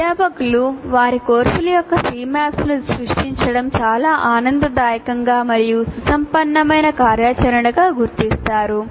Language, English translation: Telugu, Faculty creating C maps of their courses found it very enjoyable and enriching activity